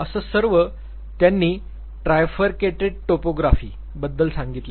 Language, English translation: Marathi, So, he talked about this trifurcated Topography